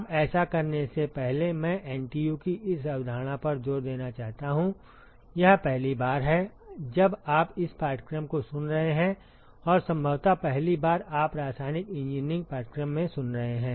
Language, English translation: Hindi, Now, before we do that I want to emphasize this concept of NTU: it is the first time you are hearing this course and first time probably you are hearing in a chemical engineering course